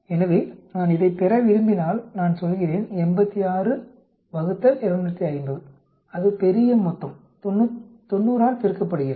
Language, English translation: Tamil, So if I want to get this I say, 86 divided by 250 that is the grand total multiplied by 90